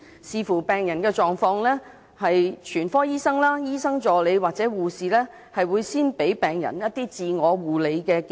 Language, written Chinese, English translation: Cantonese, 視乎病人狀況，全科醫生、醫生助理或護士會先給予病人自我護理建議。, Depending on the medical condition general practitioners medical assistants or nurses will give self - care advice to patients